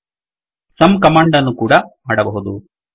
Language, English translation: Kannada, It is possible to create sum command